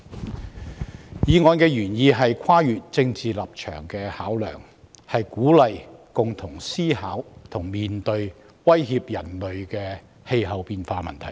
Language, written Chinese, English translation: Cantonese, 本議案原意是跨越政治立場的考量，鼓勵共同思考和面對威脅人類的氣候變化問題。, This motion is intended to transcend political considerations and encourage people to jointly examine and face the problem of climate change that threatens human beings